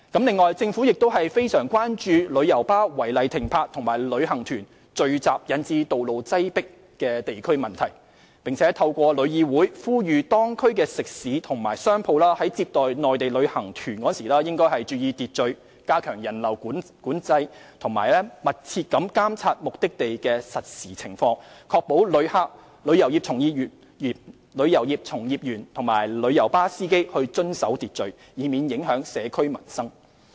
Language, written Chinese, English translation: Cantonese, 此外，政府亦非常關注旅遊巴士違例停泊及旅行團聚集引致道路擠迫等地區問題，並透過香港旅遊業議會呼籲當區食肆及商鋪在接待內地旅行團時應注意秩序，加強人流管制，以及密切監察目的地的實時情況，確保旅客、旅遊業從業員及旅遊巴士司機遵守秩序，以免影響社區民生。, Moreover the Government is also extremely concerned about issues at the district level caused by illegal coach parking and congestions resulted from assembling of tour groups . The Government has through the Travel Industry Council of Hong Kong TIC urged restaurants and shops of the districts concerned to pay attention to maintaining order in receiving inbound tour groups from the Mainland step up control on visitors flow and monitor closely the real - time situation at the destinations and to ensure that visitors tourist guides and coach drivers will observe order in order not to affect the livelihood of the community